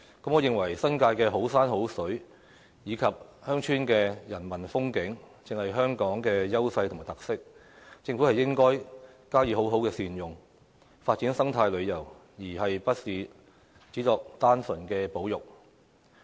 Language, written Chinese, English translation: Cantonese, 我認為，新界的好山好水，以及鄉村的人文風景，正是香港的優勢與特色，政府應該加以好好善用，發展生態旅遊，而不是只作單純保育。, In my view the beautiful sceneries of the New Territories and the humanistic features of the villages are exactly the advantages and characteristics of Hong Kong . The Government should make good use of them to develop eco - tourism rather than merely conserve them